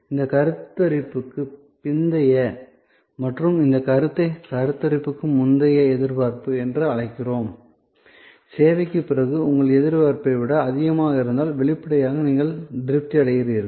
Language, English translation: Tamil, So, we call it post conception and this perception minus the pre conception expectation is if you perception after the service is higher than your expectation then; obviously, your satisfied